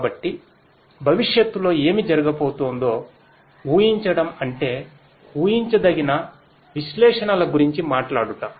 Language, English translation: Telugu, So, predicting the predicting what is going to happen in the future is what predictive analytics talks about